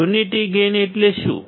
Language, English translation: Gujarati, Unity gain means what